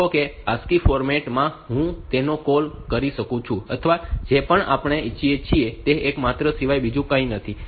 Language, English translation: Gujarati, In the ASCII format for say I can all the or anything that we are want that we are talking about is nothing but a character